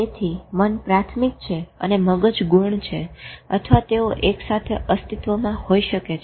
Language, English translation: Gujarati, So mind is primary, brain is secondary, or they may be existing simultaneously